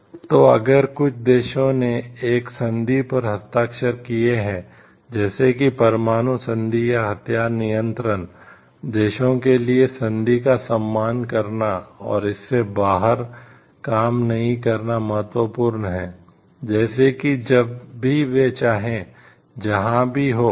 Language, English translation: Hindi, So, if a few countries have signed a treaty regarding like, nuclear disarmament or arms control, it is very important for the countries to respect the treaty and not to work out of it, in terms of like whenever they feel like and, even if there is a like lot of temptation to work out from it